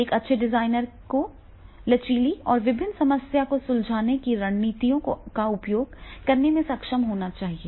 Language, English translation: Hindi, A good designer should be able to flexible use different problem solving strategies